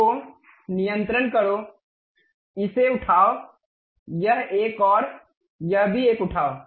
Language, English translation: Hindi, So, control, pick this one, this one, this one and also this one